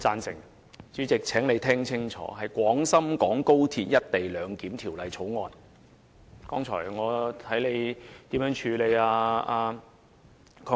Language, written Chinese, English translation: Cantonese, 主席，請你聽清楚，是《廣深港高鐵條例草案》。, President please listen carefully that it is the Guangzhou - Shenzhen - Hong Kong Express Rail Link Co - location Bill